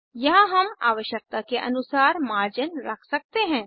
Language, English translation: Hindi, Here,we can adjust the margins as required